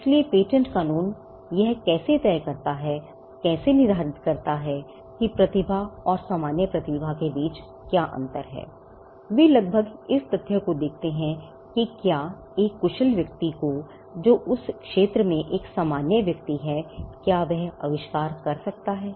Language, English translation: Hindi, So, how does patent law decide or how does patent law determine that there is a difference between normal talent and that of a genius they nearly look at the fact whether a skilled person who is an ordinary person in that field could have come up with the invention